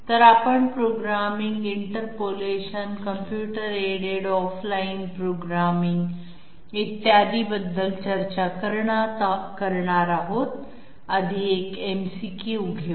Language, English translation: Marathi, So we will be discussing about programming, interpolation, computer aided off line programming, et cetera, 1st let s have one MCQ